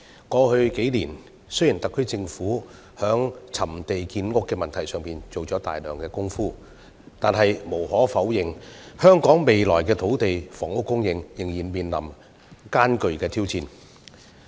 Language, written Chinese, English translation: Cantonese, 過去數年，雖然特區政府在覓地建屋問題上做了大量工夫，但無可否認，香港未來的土地及房屋供應仍然面臨艱巨挑戰。, Over the past few years while the SAR Government has made strenuous effort to identify lands for housing construction land and housing supply will undeniably remain an enormous challenge for Hong Kong in the future